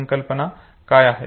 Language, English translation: Marathi, What are concepts